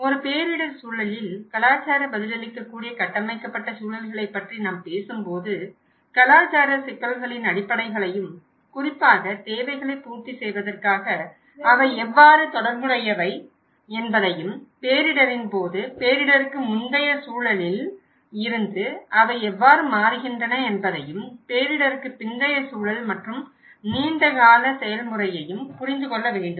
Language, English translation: Tamil, When we talk about the cultural responsive built environments in a disaster context, one has to understand the basics of the cultural issues and how especially, they are related to the built to meet needs and how they change from the pre disaster context during disaster and the post disaster context and over a long run process